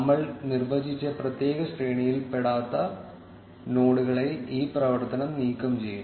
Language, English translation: Malayalam, This operation will remove the nodes which do not fall in to the particular range which we have defined